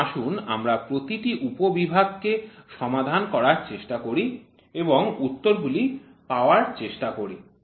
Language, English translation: Bengali, So, there are several divisions given so let us try to solve each subdivision and try to get the answer